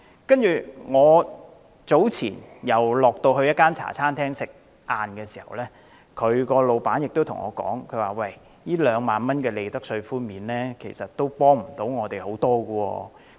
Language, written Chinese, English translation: Cantonese, 較早前，我在一間茶餐廳吃午飯時，老闆跟我說2萬元的利得稅寬免，對他們的幫助不是太大。, Earlier on when I was having lunch in a Hong Kong style restaurant the owner told me that a profits tax concession of 20,000 would be of little help to business operators like him